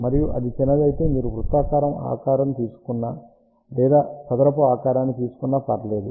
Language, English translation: Telugu, And if it is small it does not matter, whether you take a circular shape or you take a square shape